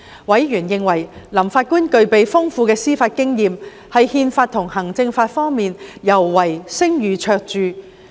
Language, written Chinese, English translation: Cantonese, 委員認為，林法官具備豐富的司法經驗，在憲法及行政法方面尤為聲譽卓著。, Members considered that Mr Justice LAM has profound judicial experience and a high reputation in particular in respect of constitutional law and administrative law